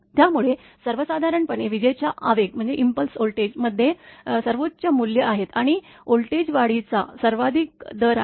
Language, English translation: Marathi, So, in general lightning impulse voltage have the highest values, and the highest rate of voltage rise